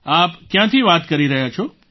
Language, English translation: Gujarati, Where are you speaking from